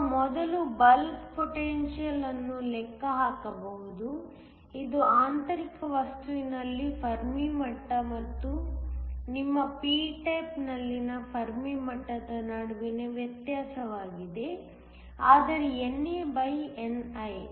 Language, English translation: Kannada, We can first calculate the bulk potential which is the difference between the Fermi level in the intrinsic material and the Fermi level in your p type that is nothing, but NAni